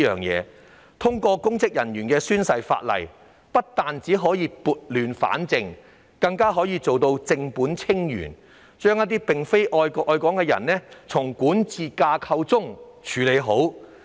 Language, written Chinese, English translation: Cantonese, 若通過關於公職人員宣誓的《條例草案》，不但可以撥亂反正，更可以正本清源，將一些並非愛國愛港的人從管治架構中"處理好"。, The passage of the Bill which concerns the taking of oath by public officers will not only put things right but also address the problem at root by removing those who do not love the country or Hong Kong from the governance structure